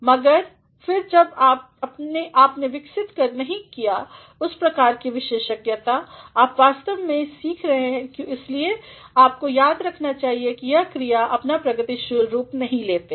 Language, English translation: Hindi, But, then since you have not developed that sort of expertise, you are actually learning that is why you should remember that these verbs do not take their progressive forms